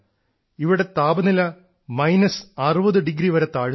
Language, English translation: Malayalam, The temperature here dips to even minus 60 degrees